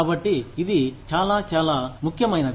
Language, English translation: Telugu, So, it is very, very, important